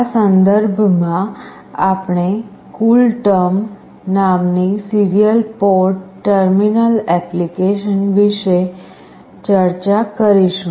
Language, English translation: Gujarati, In this regard, we will be discussing about a Serial Port Terminal Application called CoolTerm